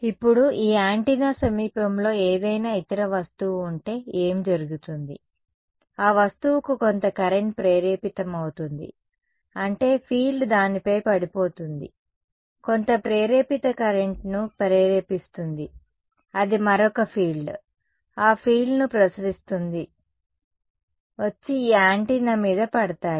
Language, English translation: Telugu, Now, what happens if there is some other object in the vicinity of this antenna, that object will also have some current induced, I mean the field will fall on it, induce some current that induced current in turn will radiate another field, that field will come and fall on this antenna